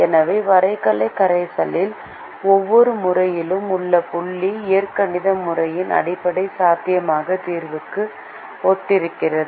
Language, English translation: Tamil, so every corner point in the graphical solution corresponds to a basic feasible solution in the algebraic method